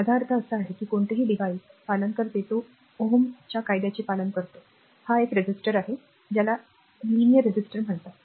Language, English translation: Marathi, So, I mean any devices obeys, I mean a it obeys your Ohm’s law, that is a resistor that that is a call a linear resistor